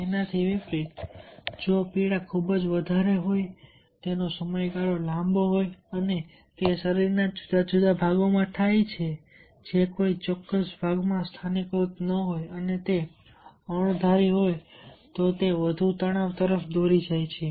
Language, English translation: Gujarati, contrarily, if the pain is very high, duration is long and it is occurs in different parts of the body, not localized to a particular part, and it is unpredictable, then it leads to more stress